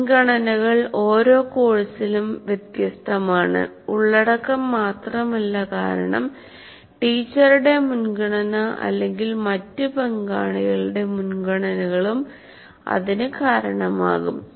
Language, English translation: Malayalam, So the priorities, as you can see, vary from one course to the other not only because of the content, also because of the preference of the teacher or the other stakeholders' preferences